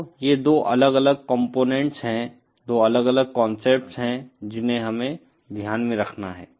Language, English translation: Hindi, So, these are 2 different components, 2 different concepts we have to keep in mind